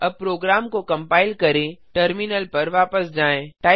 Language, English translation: Hindi, Let us now compile the program, come back to a terminal